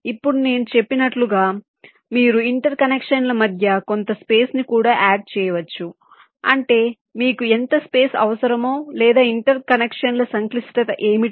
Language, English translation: Telugu, in addition, as i said, you can also add some space in between for interconnections, which means you need to know how much space is required or what is the complexity of the interconnections, right